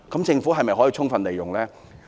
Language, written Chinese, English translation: Cantonese, 政府可否充分利用呢？, Then will the Government make full use of them?